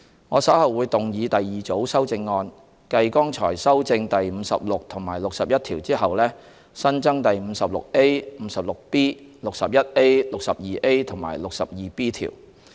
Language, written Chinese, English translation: Cantonese, 我稍後會動議第二組修正案，繼剛才修正第56及61條後，新增第 56A、56B、61A、62A 及 62B 條。, Subsequent to the amendments to clause 56 and 61 I will later on move my second group of amendments to add new clauses 56A 56B 61A 62A and 62B